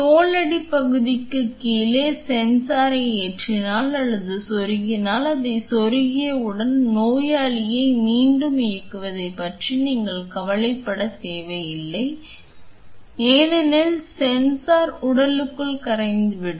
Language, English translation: Tamil, Where you just load or in insert the sensor below the subcutaneous region and it is like once you insert it, you do not have to worry about re operating the patient because the sensor will dissolve within the body